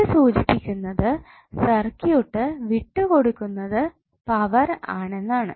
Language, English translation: Malayalam, So it implies that the circuit is delivering power